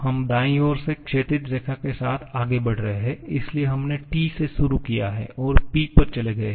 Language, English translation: Hindi, We are moving along the horizontal line from the right to the left, so we have started with T and moved to P